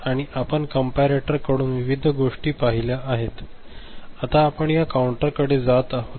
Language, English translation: Marathi, And you have you seen the various things from the comparator, we are going to this counter